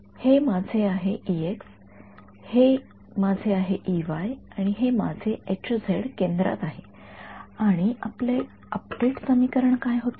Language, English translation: Marathi, This is my E x, this is my E y and my H z is at the center and what was our update equation